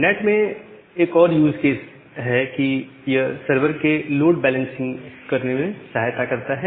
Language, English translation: Hindi, And well another use case in NAT is that it can help in doing a load balancing of servers